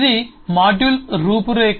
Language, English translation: Telugu, this is the module outline